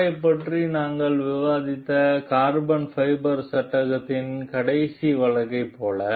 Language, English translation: Tamil, Like in the last case of the carbon fiber frame that we discussed about the car